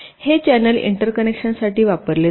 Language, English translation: Marathi, this channel is used for interconnection